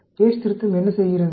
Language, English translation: Tamil, What does Yate’s correction do